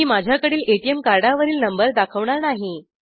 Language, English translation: Marathi, I am not going to show the number of the ATM card that i have